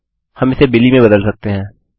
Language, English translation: Hindi, We can change this to Billy